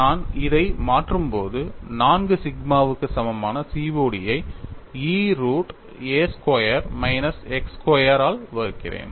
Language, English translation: Tamil, When I substitute this, I get COD equal to 4 sigma divided by E root of a squared minus x squared, what does this equation convey to you